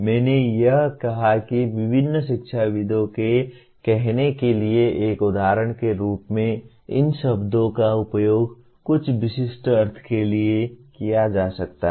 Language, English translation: Hindi, I gave that as an example to say different educationists may use these words to mean something very specific